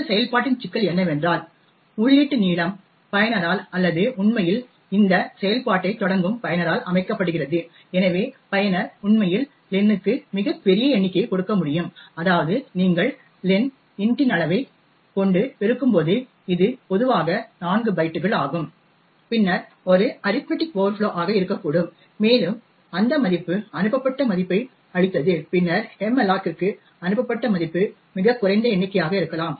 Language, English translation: Tamil, The problem with this function is that the input length is set by the user or rather by the user who is actually invoking this function, so therefore the user could actually give a very large number for len such that when you multiply len by size of int which is typically 4 bytes then there could be an arithmetic overflow and the value returned the value passed and then the value passed to malloc could be a very small number